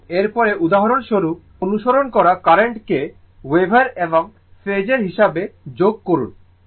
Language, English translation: Bengali, And next is that your for example, that add the following current as wave as phasor, right